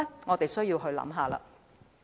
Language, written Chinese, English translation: Cantonese, 我們需要思考一下。, We need to think about this